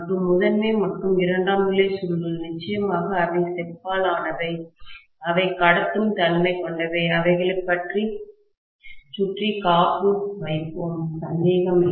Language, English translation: Tamil, And the primary and secondary coils, definitely they are made up of copper, they are also conductive, we will put insulation around them, no doubt